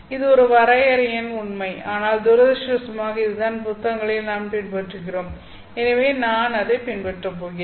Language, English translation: Tamil, So this is just a fact of definition but unfortunately this is what we have been following in the literature so I am going to follow that